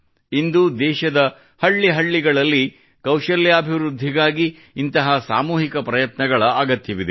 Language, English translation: Kannada, Today, such collective efforts are needed for skill development in every village of the country